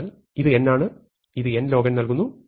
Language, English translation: Malayalam, So, this is bounded by 2 times n log n